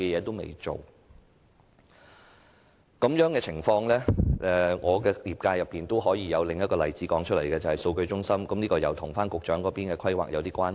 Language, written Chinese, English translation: Cantonese, 就這種情況，我可以在我的業界中舉出另一個例子，就是數據中心，這與局長所負責的規劃有點關係。, In this connection I can cite another example from my sector . It is about data centres which have something to do with the work of planning within the purview of the Secretary